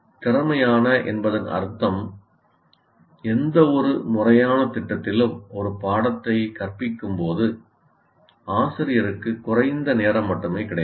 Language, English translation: Tamil, Efficient in the sense for in any formal program, there is only limited time available to a teacher when he is teaching a course